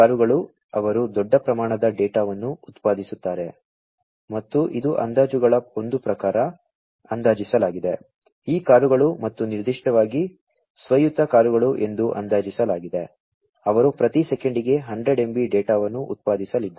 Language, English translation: Kannada, So, these cars they will generate large volumes of data and it is estimated as per one of the estimates, it is estimated that these cars and particularly the autonomous cars; they are going to generate data at 100 MB per second